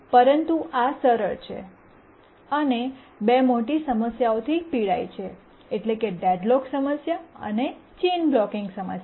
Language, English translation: Gujarati, But then we saw that it is rather too simple and suffers from two major problems, the deadlock problem and the chain blocking problem